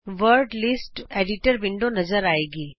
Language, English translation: Punjabi, The Word List Editor window appears